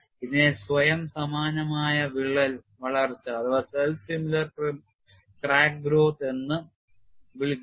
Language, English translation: Malayalam, This is known as self similar crack growth